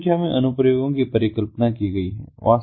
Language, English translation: Hindi, large number of applications are envisaged